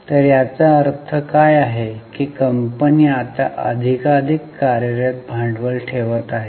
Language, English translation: Marathi, So, what does it mean that company is now keeping more and more working capital